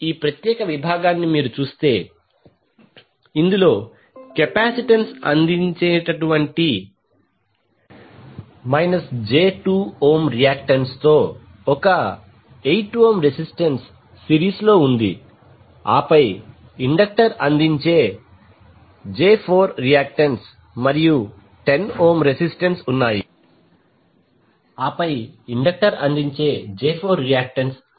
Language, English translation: Telugu, Now, if you see this particular segment that is 8 ohm resistance in series with minus j2 ohm reactance offered by capacitance and then 10 ohm resistance and j4 reactance offered by the inductor